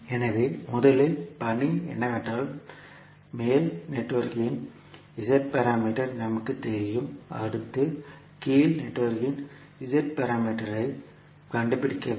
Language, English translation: Tamil, So first the task is that we know the Z parameters of the upper network, next we have to find out the Z parameters of the lower network